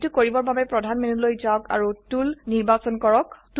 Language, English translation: Assamese, To do this: Go to the Main menu and select Tools